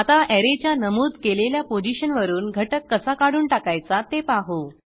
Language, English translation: Marathi, Now, let us see how to remove an element from a specified position of an Array